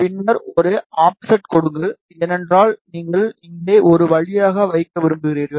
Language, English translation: Tamil, And then just give a offset, because you want to put a via over here